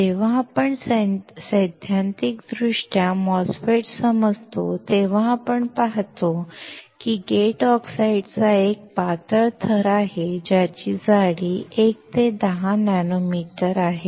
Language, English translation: Marathi, When we theoretically understand MOSFET, we see there is a thin layer of gate oxide with thickness of 1 to 10 nanometer